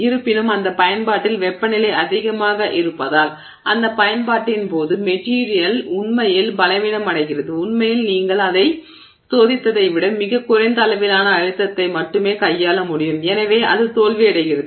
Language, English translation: Tamil, However, because the temperature is high at that application during that application the material actually becomes weak during use and therefore actually is able to handle only a much lower level of stress than what you tested it for and therefore it fails